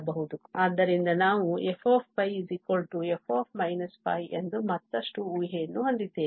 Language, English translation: Kannada, So, we have further assumption that f pi is equal to f minus pi